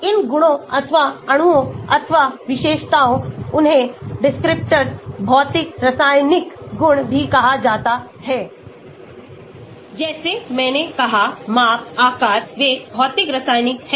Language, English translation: Hindi, these properties or molecules or features, they are also called descriptors, physico chemical properties , like I said shape, size, they are physico chemical